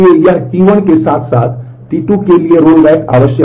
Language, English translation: Hindi, So, it is the rollback is required for T 1 as well as in T 2